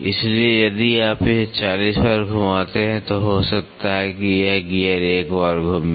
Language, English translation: Hindi, So, if you rotate this 40 times maybe this gear rotate one time